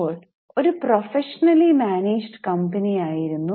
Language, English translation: Malayalam, Now this was a professionally managed company